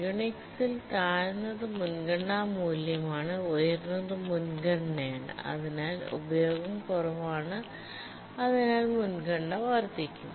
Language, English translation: Malayalam, Remember that in Unix, the lower is the priority value, the higher is the priority and therefore the utilization is low, the priority increases